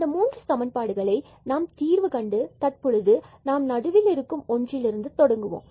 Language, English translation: Tamil, So, these 3 equations which we want to solve now which let us start with this middle one